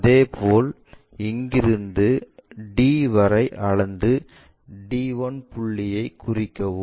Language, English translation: Tamil, In the similar way from there to d, we will locate d 1